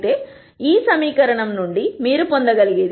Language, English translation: Telugu, However, from this equation what you can get is b 1 is minus 2 b 2